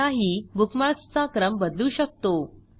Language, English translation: Marathi, You can also rearrange the bookmarks manually